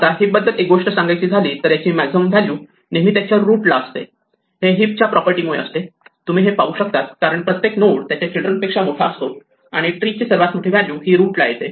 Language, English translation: Marathi, Now, one thing about a heap is that the maximum value is always at the root this is because of the heap property you can inductively see that because each node is bigger than itÕs children the maximum value in the entire tree must be at the root